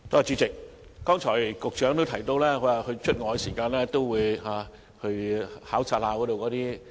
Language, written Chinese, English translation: Cantonese, 主席，剛才局長亦提到，他外訪時都會到熟食攤檔考察。, President the Secretary has also mentioned that he will visit cooked food stalls during visits to other countries